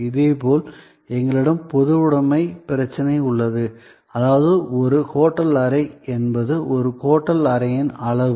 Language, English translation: Tamil, Similarly, we have the problem of generality, which means for example, a hotel room is a hotel room